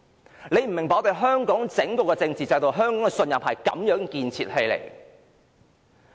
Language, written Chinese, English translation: Cantonese, 大家可能不明白我們香港整套政治制度，香港的信任是這樣建立起來的。, It is possible that not everyone understands the whole political system in Hong Kong and the trust that is built in this way